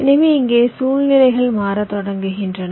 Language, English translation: Tamil, so here the situations started to change